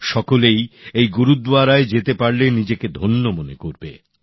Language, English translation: Bengali, Everyone feels blessed on visiting this Gurudwara